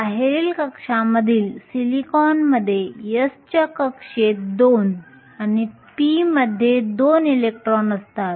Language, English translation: Marathi, Silicon in the outer shell has two electrons in the s orbital and two in the p